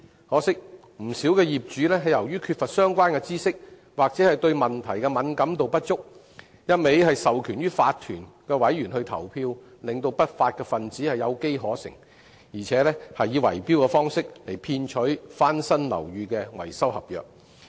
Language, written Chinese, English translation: Cantonese, 可惜，不少業主由於缺乏相關知識或對問題敏感度不足，只一味授權法團委員投票，令不法分子有機可乘，更以圍標方式騙取翻新樓宇的維修合約。, Unfortunately many owners lack relevant knowledge of or sensitivity in the issue but only keep authorizing OC members as proxy creating opportunities for unruly elements to cheat to win building maintenance contracts by bid - rigging